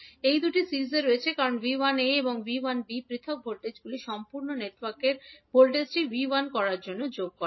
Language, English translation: Bengali, Now, these two are in series because the individual voltages that is V 1a and V 1b add up to give the voltage of the complete network that is V 1